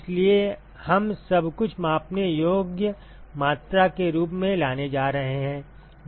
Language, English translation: Hindi, So, we are going to bring everything in terms of the measurable quantities